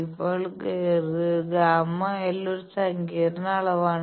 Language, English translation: Malayalam, Now gamma l is a complex quantity